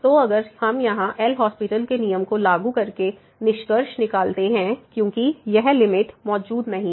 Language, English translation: Hindi, So, if we would have concluded here by applying the L’Hospital’s rule, because this limit does not exist